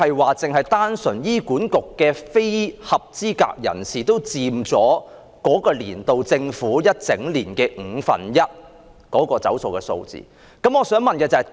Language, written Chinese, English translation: Cantonese, 換言之，單是非合資格人士拖欠醫管局的款項，已佔政府該年度被"走數"總額的五分之一。, In other words the amount owed to HA by non - eligible persons alone already accounted for one fifth of the total amount of default payments of that year